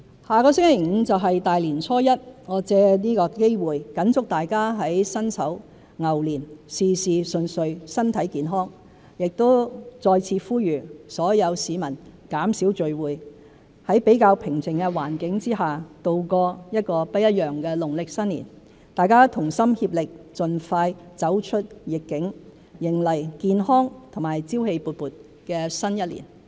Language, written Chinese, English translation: Cantonese, 下星期五便是大年初一，我藉此機會謹祝大家在辛丑牛年，事事順遂，身體健康，亦再次呼籲所有市民減少聚會，在比較平靜的環境下，度過一個不一樣的農曆新年，大家同心協力，盡快走出"疫"境，迎來健康和朝氣勃勃的新一年。, I wish you every success and the best of health in the Year of the Ox . I would also like to call upon everyone to reduce gatherings and spend this Lunar New Year in a way that is like no other―in a comparatively quiet ambience . With concerted efforts we can prevail over the pandemic and welcome a healthy and vibrant year